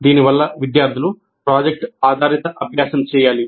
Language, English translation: Telugu, And this should result in product based learning by the students